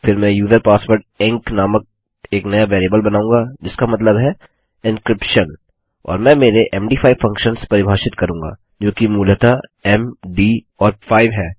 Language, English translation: Hindi, Next Ill create a new variable called user password e n c which stands for encryption and Ill define my MD5 functions, which is basically m,d and 5